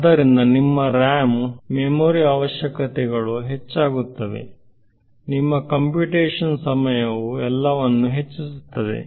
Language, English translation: Kannada, So, your RAM; memory requirements increases, your computation time increases everything right